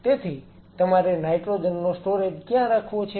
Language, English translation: Gujarati, So, you have to figure out where you want to put the nitrogen storage